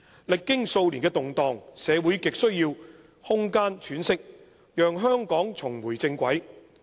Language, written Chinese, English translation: Cantonese, 歷經數年的動盪，社會亟需要空間喘息，讓香港重回正軌。, After the turmoil in the past few years society is in desperate need of a breathing space to allow it to get back onto the right track